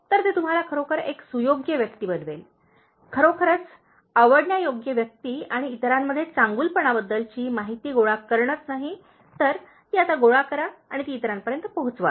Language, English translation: Marathi, So, that will make you actually, really a likeable person and not only collecting this information about goodness in others, now gather that and spread that to others